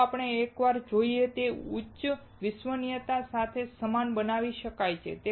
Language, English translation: Gujarati, Let us see once again, it can be made identical with high reliability